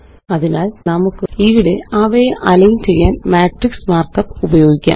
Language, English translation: Malayalam, So, here we can use the matrix mark up to align them